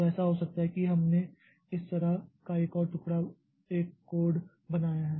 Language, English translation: Hindi, So it may so happen that we have made a code like this